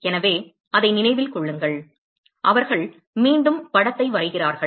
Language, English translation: Tamil, So, keep in mind that; they are draw the picture again